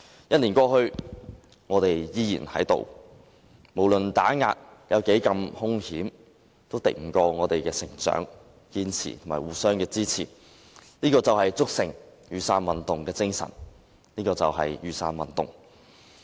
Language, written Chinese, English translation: Cantonese, 一年過去，我們仍在，無論打壓有多兇險，也敵不過我們的成長、堅持和互相支持，這就築成雨傘運動的精神，這就是雨傘運動。, One year has passed but we are still standing here . Ferocious as all the suppression has been it is no match for our growth our perseverance and our mutual support . Such is the spirit of the Umbrella Movement